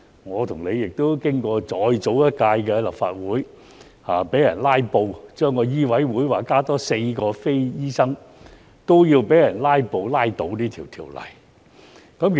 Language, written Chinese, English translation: Cantonese, 我和你亦經歷過早幾年的立法會被人"拉布"，而醫委會增加額外4名非醫生委員的法案，亦被人"拉布"拉倒。, doctors harbouring each other . You and I have also experienced the filibustering of the Legislative Council a few years ago and the bill which sought to add four lay members to MCHK was scuttled by filibustering